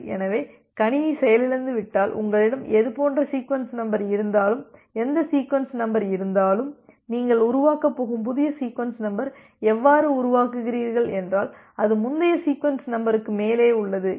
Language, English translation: Tamil, So, it is just like that if the if you have if the system has crashed then whenever whatever sequence number was there, the new sequence number that you are going to generate, you generate in such a way, so that is above the previous sequence number